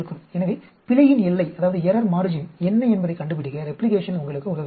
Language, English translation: Tamil, So, replication helps you to find out what is the error margin